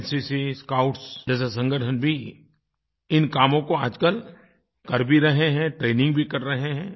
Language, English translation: Hindi, Organisations like NCC and Scouts are also contributing in this task; they are getting trained too